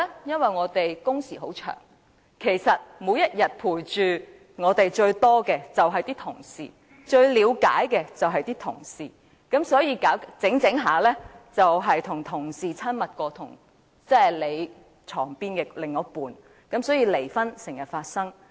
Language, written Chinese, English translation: Cantonese, 因為我們的工時很長，每天陪着我們最長時間的便是同事，最了解我們的人也是同事，所以漸漸導致同事較床邊的另一半更親密，離婚因此經常發生。, Because our working hours are long and every day it is our colleagues who keep us company for the longest time of the day . It is also colleagues who know us best and so we are gradually drawn closer to our colleagues than our better halves and this therefore often leads to divorces